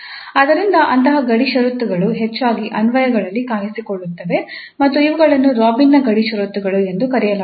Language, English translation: Kannada, So such boundary conditions often appear in applications and these called the Robin's boundary conditions